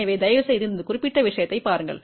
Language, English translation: Tamil, So, please look into this particular thing